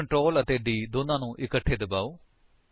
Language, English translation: Punjabi, Now press the Ctrl and D keys together